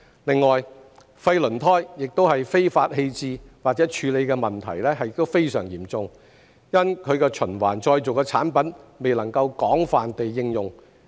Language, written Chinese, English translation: Cantonese, 另外，廢輪胎非法棄置或處理的問題亦非常嚴重，因其循環再造的產品未能廣泛應用。, On the other hand the problem of illegal disposal or handling of waste tyres is also very serious as their recycled products are not widely used